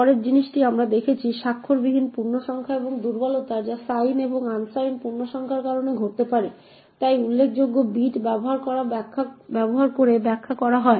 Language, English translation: Bengali, The next thing we look at is unsigned integers and the vulnerabilities that can be caused by due to sign and unsigned integers, so as we know signed integers are interpreted using the most significant bit